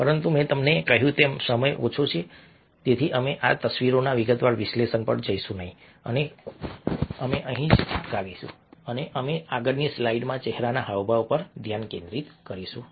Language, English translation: Gujarati, but, as i told you, time is short so we will not going to a detailed analysis of these images and we will stop here and we will focus on facial expressions in the next set of slides